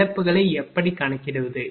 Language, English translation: Tamil, How to calculate the losses